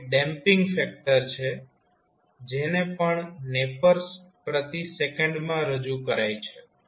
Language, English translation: Gujarati, Alpha is the damping factor which is again expressed in nepers per second